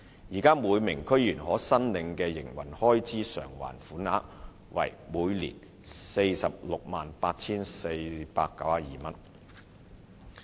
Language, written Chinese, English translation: Cantonese, 現時每名區議員可申領的營運開支償還款額為每年 468,492 元。, Currently the Operating Expenses Reimbursement that may be claimed by each DC member is 468,492 per annum